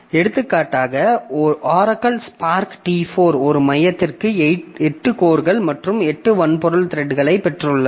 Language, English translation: Tamil, For example, Oracle Spark T4 that has got eight codes and eight hardware threads par code